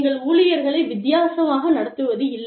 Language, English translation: Tamil, You do not treat employees, differently